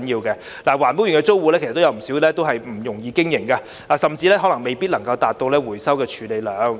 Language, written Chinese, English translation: Cantonese, 不少環保園內的租戶經營不容易，甚至未能達到承諾的回收處理量。, Many tenants in the EcoPark are facing difficulties in operation and have even failed to achieve the committed recycling capacity